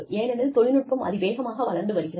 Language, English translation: Tamil, Because, technology has developed, so fast